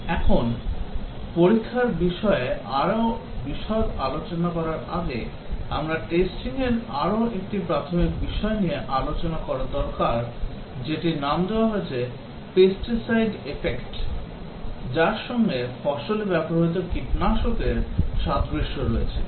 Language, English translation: Bengali, Now, before we start discussing more details about testing, we need to discuss about another very basic issue about testing that goes by the name Pesticide Effect, because of its analogue to use a pesticide in a crop